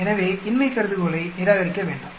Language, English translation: Tamil, So obviously, we reject the null hypothesis